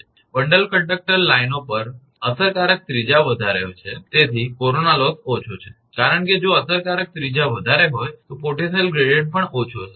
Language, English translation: Gujarati, For bundled conductor lines effective radius is high, hence corona loss is less because if effective radius is high then potential gradient that will be also less